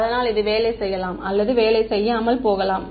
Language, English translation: Tamil, So, it may or may not work